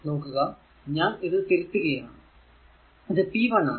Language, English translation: Malayalam, So, this is p 1 I have corrected that